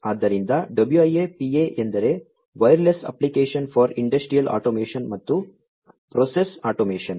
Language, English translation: Kannada, So, WIA PA stands for Wireless Applications for Industry Automation and Process Automation